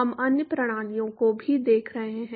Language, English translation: Hindi, We are looking at other systems too